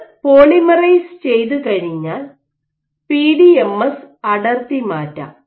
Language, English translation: Malayalam, Once it has polymerized you can actually peel the PDMS